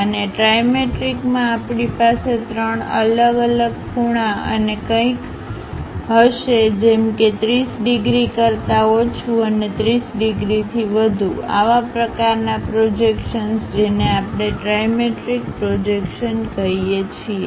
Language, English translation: Gujarati, And, in trimetric we will have different three angles and something like less than 30 degrees and more than 30 degrees, such kind of projections we call trimetric projections